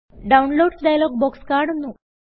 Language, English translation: Malayalam, The Downloads dialog box appears